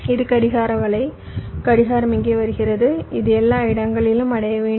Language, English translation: Tamil, this is the clock network, the clock is coming here, it must reach everywhere